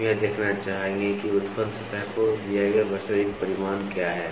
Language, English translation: Hindi, We would like to see what is the real magnitude value given to the generated surface